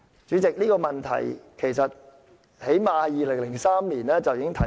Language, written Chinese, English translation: Cantonese, 主席，這個問題最少已在2003年提出。, President the question was already raised in 2003